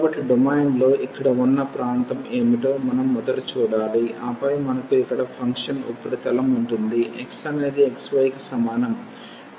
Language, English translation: Telugu, So, we have to first see what is the region here in the domain, and then we have the function surface here z is equal to x y